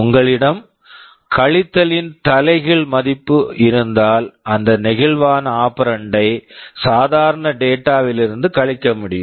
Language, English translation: Tamil, If you have a reverse version of subtract then that flexible operand can be subtracted from or the normal data